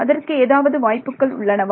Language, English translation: Tamil, What are the possibilities